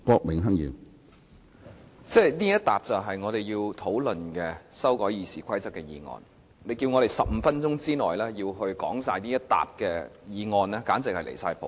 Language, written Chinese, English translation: Cantonese, 主席，這疊文件是我們要討論的修改《議事規則》的擬議決議案，你要求我們在15分鐘內就這些擬議決議案完成發言，簡直是離譜。, President this stack of paper is about the proposed resolutions to amend RoP to be discussed by us and you ask us to speak on them within 15 minutes which is indeed outrageous